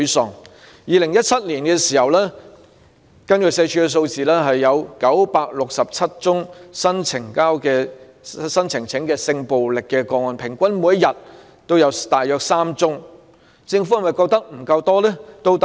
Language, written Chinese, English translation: Cantonese, 社會福利署2017年的數字顯示，當年有967宗新呈報的性暴力個案，平均每天3宗，政府是否仍覺得不夠多呢？, Figures maintained by the Social Welfare Department reveal that there were 967 newly reported cases of sexual violence in 2017 representing an average of three cases per day . Does the Government still consider these figures not large enough?